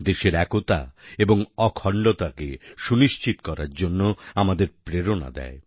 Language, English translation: Bengali, It also inspires us to maintain the unity & integrity of the country